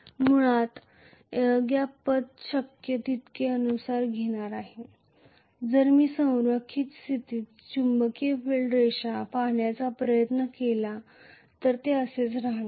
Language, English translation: Marathi, The air gap path basically will not be followed as much as possible if try to if I try to look at the magnetic field lines under aligned condition it is going to go like this